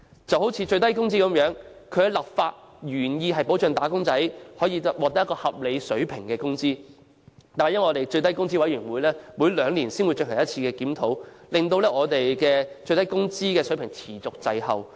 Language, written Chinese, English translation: Cantonese, 例如最低工資，其立法原意旨在保障"打工仔"獲得合理水平的工資，唯最低工資委員會每兩年才進行一次檢討，以致最低工資水平持續滯後。, For example the legislative intent of the minimum wage rate is to assure that wage earners will be paid at a reasonable wage rate but the Minimum Wage Commission conducts a review only once every two years thus causing the minimum wage rate to suffer a continual lag